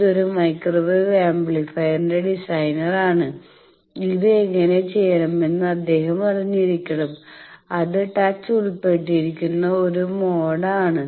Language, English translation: Malayalam, This is a designer of a microwave amplifier, he should know that how to do it is a mode involved touch